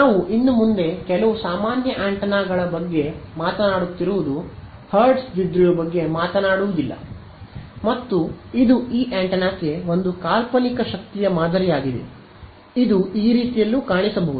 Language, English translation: Kannada, We are not we are no longer talking about the hertz dipole we are talking about some general antenna and this is a hypothetical power pattern for this antenna, it might look like this right so, this